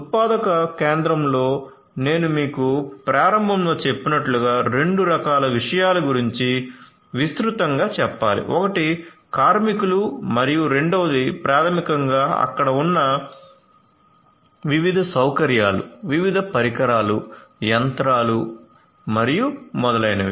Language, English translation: Telugu, So, as I told you at the outset in a manufacturing facility we are talking broadly about two types of entities, one is the workers and second is basically the different you know the different facilities that are there, the different devices the machinery and so on and so forth